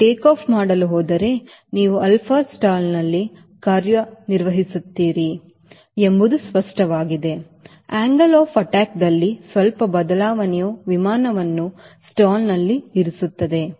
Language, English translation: Kannada, it is obvious that if you are going to take off here, operating at the alpha stall, the slight change in the angle of attack, we will put the diagram v stall